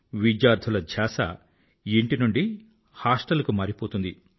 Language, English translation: Telugu, The attention of students steers from home to hostel